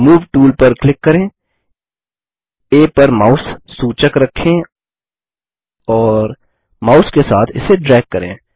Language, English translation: Hindi, Click on the Move tool, place the mouse pointer on A and drag it with the mouse